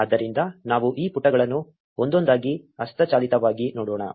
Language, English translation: Kannada, So, let us look at these pages manually one by one